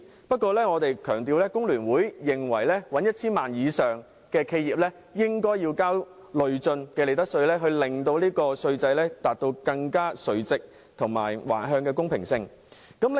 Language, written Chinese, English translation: Cantonese, 不過，我要強調，工聯會認為營業額達 1,000 萬元以上的企業應該要支付累進利得稅，令稅制垂直和橫向均更見公平。, But I must stress that FTU holds that enterprises with a turnover of more than 10 million should be subject to progressive profits tax so as to render the tax system fairer both vertically and horizontally